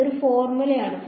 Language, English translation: Malayalam, It is a formula